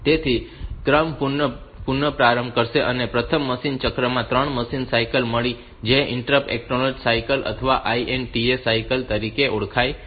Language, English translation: Gujarati, So, restart sequence it has got 3 machine cycles in the first machine cycle which is known as interrupt acknowledge cycle or INTA cycle